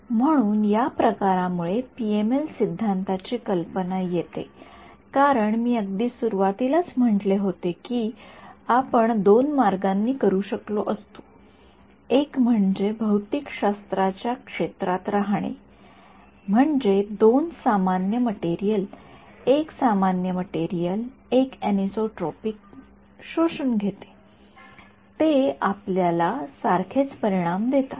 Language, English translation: Marathi, So, that sort of brings to a close the idea of PML theory as I said in the very beginning you could have done this in 2 ways one is to stay within the realm of physics have two different materials one normal material one anisotropic absorb it gives you the same results